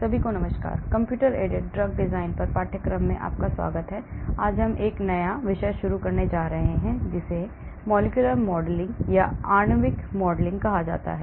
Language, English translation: Hindi, Hello everyone, welcome to the course on computer aided drug design, today we are going to start a new topic that is called molecular modelling